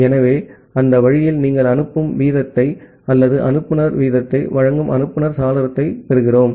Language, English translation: Tamil, So, that way and thus we are getting the sender window that is giving you the sending rate or the sender rate